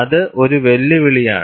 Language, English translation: Malayalam, That poses a challenge